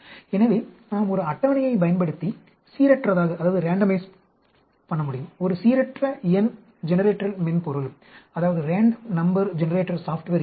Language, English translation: Tamil, So, we can randomize using a, there is a random number generator software was there, table was there